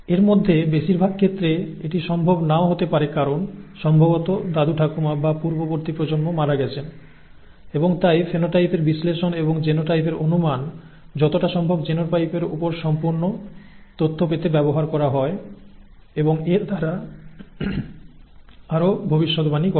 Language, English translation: Bengali, However in many of these cases it may not be even be possible because maybe the grandparents and the previous generations have passed on and therefore the analysis of the phenotypes and the guess of the genotypes are used to get as complete an information on the genotype as possible and thereby make further predictions